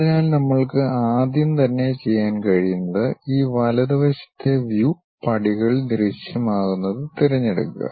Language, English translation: Malayalam, So, the first thing what we can do is straight away, pick this right side view something like steps are visible